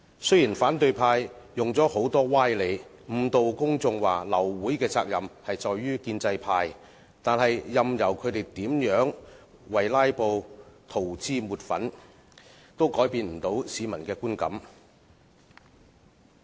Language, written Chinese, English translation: Cantonese, 雖然反對派用很多歪理誤導公眾，指流會的責任在於建制派，但任由他們如何為"拉布"塗脂抹粉，也改變不到市民的觀感。, The opposition camp draws greatly on sophistry to mislead the public claiming that the pro - establishment camp should be held responsible for causing abortion of meetings; yet no matter how they whitewash filibustering they cannot change peoples perception